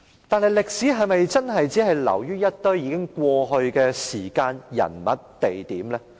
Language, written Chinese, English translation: Cantonese, 但歷史是否只是流於一堆已過去的時間、人物和地點？, However is history just about a bunch of time people and places in the past?